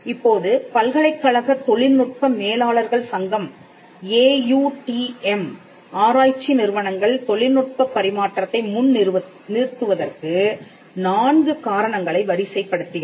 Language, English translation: Tamil, Now, the Association of University Technology Managers – AUTM, lists out four reasons for public research organizations to advance technology transfer